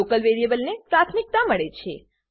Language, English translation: Gujarati, The local variable gets the priority